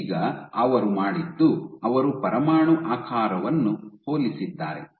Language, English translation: Kannada, So, what they then did they compared the nuclear